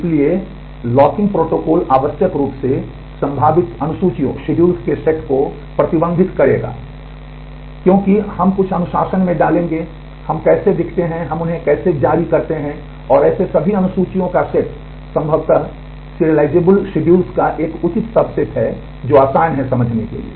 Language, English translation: Hindi, So, locking protocols necessarily will restrict the set of possible schedules because, we will put in some discipline in terms of how we look and how we release them, and the set of all such schedules is a proper subset of possible serializable schedules that is easy to understand